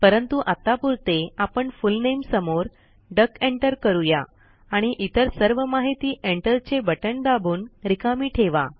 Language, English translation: Marathi, But for the time being, I will enter only the Full Name as duck and leave the rest of the details blank by pressing the Enter key